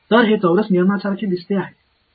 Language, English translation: Marathi, So, does this look like a quadrature rule